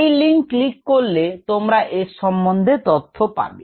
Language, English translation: Bengali, you can click on the link and go and see the video